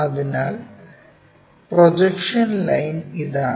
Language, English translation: Malayalam, So, that the projection line is this